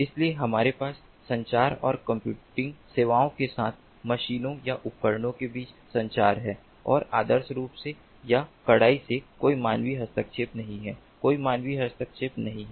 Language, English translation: Hindi, so we have communication between machines or devices with communication and computing facilities and, ideally or strictly, there is no human intervention